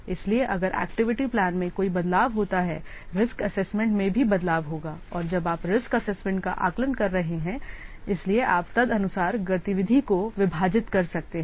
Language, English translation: Hindi, So if there is a change in activity plan, there will be a change also in the risk assessment and when risk you are assessing the risk, so you accordingly you might have to divide the activity plan